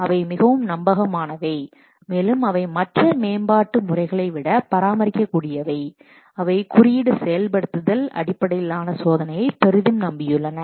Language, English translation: Tamil, Those are more reliable, also they are maintainable than other development methods which are relying heavily on code execution based testing